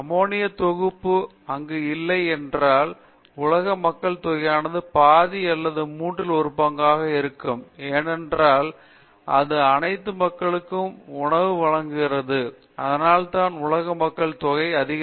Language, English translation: Tamil, If ammonia synthesis where not to be there, world population will be one half or one third, because it has provided the food for all the people, that is why world population has increased